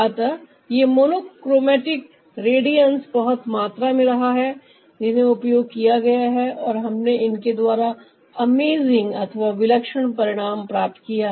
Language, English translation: Hindi, so there had been lots of this monochromatic radiance that had been used and ah, we got amazing result out of that another one